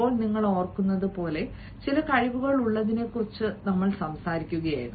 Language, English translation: Malayalam, now, as you remember, we had been talking about having certain skills